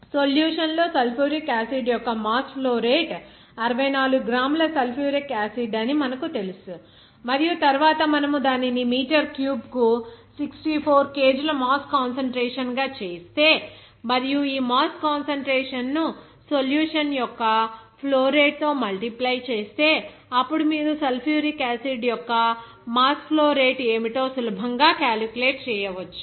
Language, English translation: Telugu, Since you know that there will be since mass flow rate mass of that sulfuric acid in the solution to be 64 gram sulfuric acid and then if you make it mass concentration as 64 kg per meter cube and if you multiply this mass concentration by this flow rate of the solution, then you can easily calculate what should be the mass flow rate of that sulfuric acid